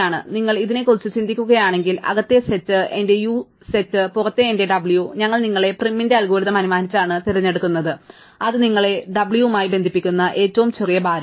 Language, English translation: Malayalam, So, if you think of this set the set inside is my u and the set outside is my w, and we are picking by assumption in prim's algorithm, the smallest weight edge which connects u to w